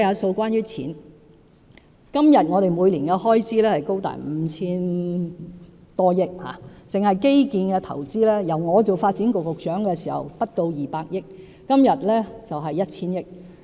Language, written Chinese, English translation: Cantonese, 政府現時的每年開支高達 5,000 多億元，單是基建投資，我擔任發展局局長時不到200億元，今天已達 1,000 億元。, At present the annual expenditure of the Government runs to some 500 billion . Infrastructure investments alone has reached 100 billion nowadays up from the 20 billion when I was the Secretary for Development